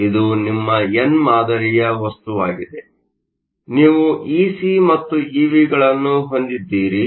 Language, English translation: Kannada, So, This is your n type material; you have Ec and EV